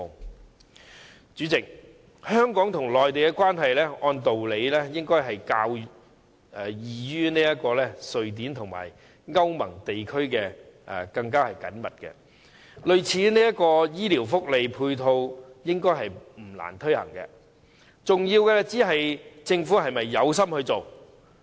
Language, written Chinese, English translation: Cantonese, 代理主席，按道理，香港和內地的關係應該比瑞典與歐盟地區的更緊密，類似這種醫療福利配套應該不難推行，重要的只是政府是否有心推行。, Deputy President by the same token it should not be difficult to implement such health care benefits and support as the relationship between Hong Kong and the Mainland should be closer than that between Sweden and EU regions . An important question is whether the Government has any intention to implement such benefits